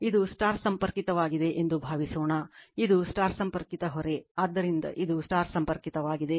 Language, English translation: Kannada, Suppose, this is your star connected, this is your star connected right load, so this is star connected